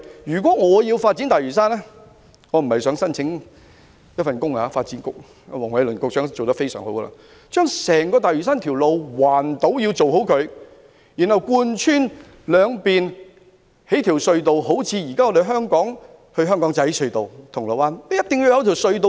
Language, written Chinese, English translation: Cantonese, 如果我要發展大嶼山——我並非想申請這份工作，發展局局長黃偉綸已做得非常好——先要建造一條圍繞整個大嶼山的環島道路，然後興建一條貫穿兩邊的隧道，就像現時香港仔至銅鑼灣的隧道般。, If I were to develop Lantau―it is not that I wish to apply for this job . Secretary for Development Michael WONG has been doing a good job―first it is necessary to build an island - wide road around the entire Lantau Island then a tunnel connecting the two sides like the existing tunnel between Aberdeen and Causeway Bay